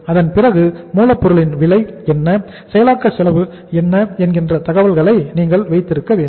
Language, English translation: Tamil, After that you should have the information of the cost that what is the cost of raw material, what is the cost of processing